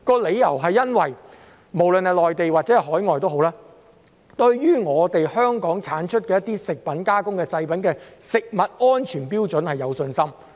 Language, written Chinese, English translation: Cantonese, 理由在於無論是內地或海外，他們均對香港產出的食品加工製品的食物安全標準有信心。, The reason for this is that customers both in the Mainland and overseas have confidence in the food safety standards of processed food products produced in Hong Kong